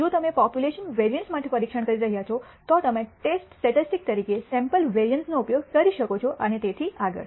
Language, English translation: Gujarati, If you are testing for the population variance you may use as test statistic the sample variance and so on, so forth